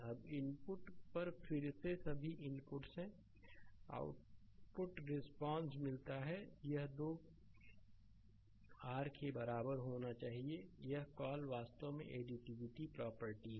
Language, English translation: Hindi, Now again at the input all the inputs are there get output response this 2 must be your equal right so, that is call actually additivity property